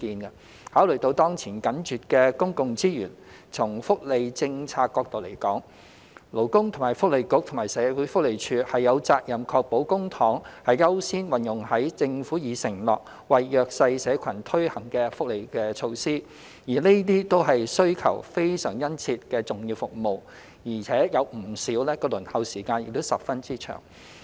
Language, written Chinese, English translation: Cantonese, 考慮到當前緊絀的公共資源，從福利政策角度而言，勞工及福利局和社會福利署有責任確保公帑優先運用於政府已承諾為弱勢社群推行的福利措施，而這些都是需求非常殷切的重要服務，而且不少的輪候時間亦十分長。, Considering the currently tight public resources the Labour and Welfare Bureau and the Social Welfare Department are from the perspective of welfare policy duty - bound to ensure that public funds are first devoted to welfare initiatives that the Government has committed to implement for the disadvantaged . All these are important much sought - after services and many of them have entailed a long wait